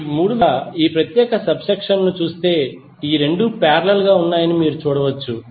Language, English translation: Telugu, Now, if you see this particular subsection of the network, you can see that these 2 are in parallel